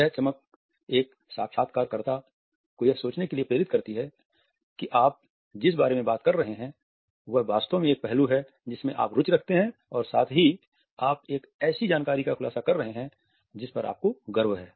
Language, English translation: Hindi, This shine and a sparkle allows the interviewer to think that what you are talking about is actually an aspect in which you are interested and at the same time you are revealing and information of which you are proud